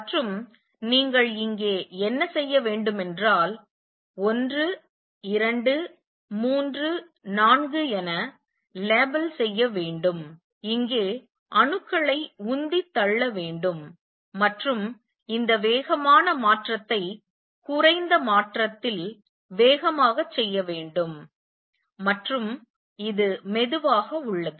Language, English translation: Tamil, And what you do here is label them 1 2, 3, 4 pump atoms here and make this fast transition make lower transition fast and this is slow